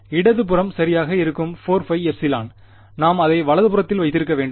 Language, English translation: Tamil, So, the left hand side would be right so, that the 4 pi epsilon we can keep it on the right hand side